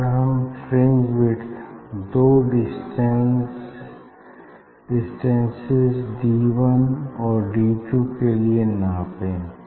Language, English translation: Hindi, if we measure the fringe width for two distance D 1 and D 2, for D 1 and D 2